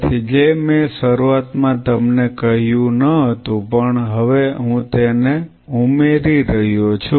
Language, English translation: Gujarati, So, which I did not in the beginning told you now I am adding them what do you do